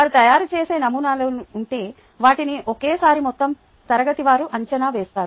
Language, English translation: Telugu, if there are models, so they make they would be evaluated at the same time by the entire class and so on